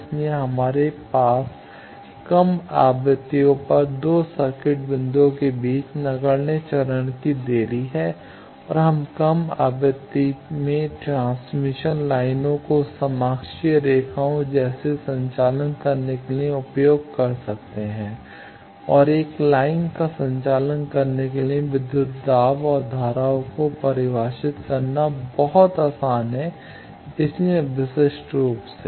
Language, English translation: Hindi, So, we have negligible phase delay between 2 circuit points at lower frequencies and also we can use to conduct a transmission lines like coaxial lines in low frequency and into conduct a line it is very easy to define the voltage and currents, so uniquely